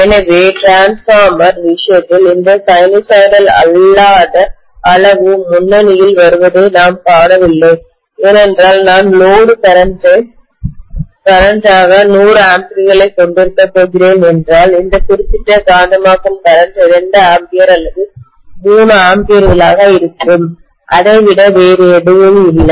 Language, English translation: Tamil, So we do not see this non sinusoidal quantity coming to the forefront in the case of a transformer because if I am going to have 100 amperes as the load current, this particular magnetizing current may be 2 amperes or 3 amperes, nothing more than that